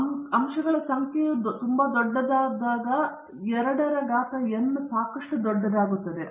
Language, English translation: Kannada, And even 2 power n becomes quite a large number when the number of factors become too large